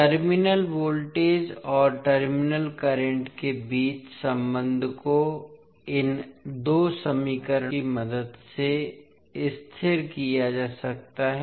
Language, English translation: Hindi, The relationship between terminal voltage and terminal current can be stabilised with the help of these two equations